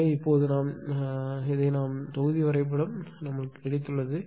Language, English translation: Tamil, So, now, what we will do this with this one we have got this block diagram